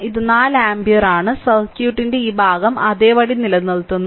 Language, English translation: Malayalam, And this is 4 ampere this part of the circuit keeps it as it is right